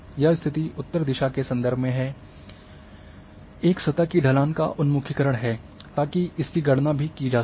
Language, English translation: Hindi, Now, aspect is the orientation of a slope surface with reference to the north so that can also be calculated